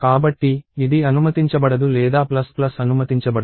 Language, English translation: Telugu, So, this is not allowed nor is a plus plus allowed